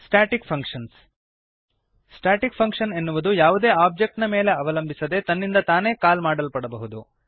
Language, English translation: Kannada, Static functions A static function may be called by itself without depending on any object